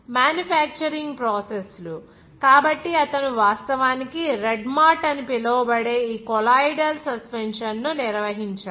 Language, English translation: Telugu, Manufacturing processes, so he has actually managed this colloidal suspension that is called red mart